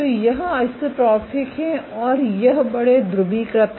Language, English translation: Hindi, So, this is constrained isotropic and this is large polarized